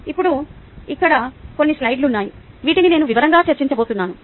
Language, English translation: Telugu, now there are some slides here which i am not going to discuss in detail